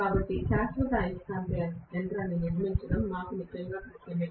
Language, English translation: Telugu, So we are really finding it difficult to construct permanent magnet machine